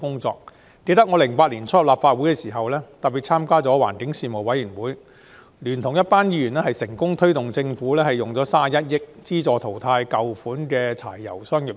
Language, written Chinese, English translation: Cantonese, 我記得2008年年初加入立法會時，參加了環境事務委員會，聯同一群議員成功促使政府撥款31億元，資助淘汰舊款柴油商業車。, I remember that when I joined this Council in early 2008 I became a member of the Panel on Environmental Affairs and worked with other Members to urge the Government to provide 31 billion for replacing old diesel commercial vehicles